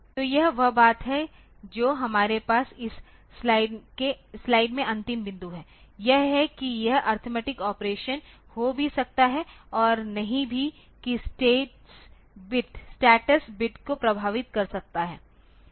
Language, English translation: Hindi, So, that is the thing the last point that we have here in this slide is that it is the arithmetic operations may or may not affect the status bits